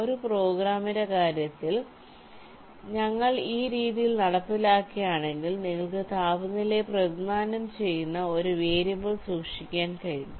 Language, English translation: Malayalam, say, if we implement in this way, while in terms a programming you can keep a variable that represents the temperature